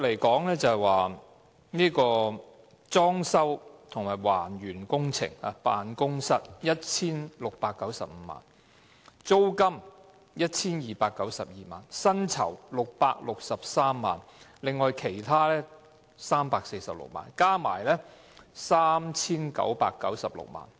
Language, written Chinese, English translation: Cantonese, 她最初表示裝修及還原辦公室工程須 1,695 萬元，租金須 1,292 萬元，薪酬663萬元，而其他開支為346萬元，合共 3,996 萬元。, At first she said that 16.95 million was for fitting out the office and reinstatement works 12.95 million was for rent 6.63 million was for staff remuneration and 3.46 million was for other expenses which added up to a total of 39.96 million